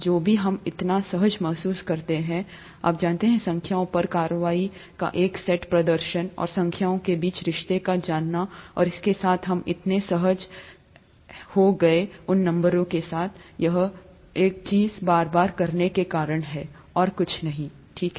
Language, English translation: Hindi, Whatever we feel… excuse me, so comfortable with, you know, performing a set of operations on numbers, and knowing the relationship between numbers and so on and so forth that we are so comfortable with, became comfortable because of repeated doing of the same thing with those numbers, nothing else, okay